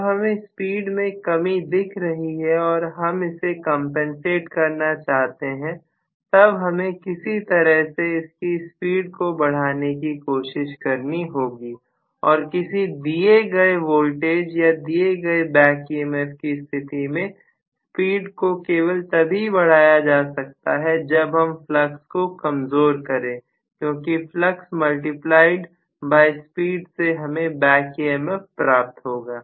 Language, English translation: Hindi, So, when I am having a drop in the speed, if I want to compensate for it, I have to somehow try to increase the speed and increasing the speed for a given voltage or a given back emf can be done only if the flux is weakened because flux multiplied by the speed is going to give me the back emf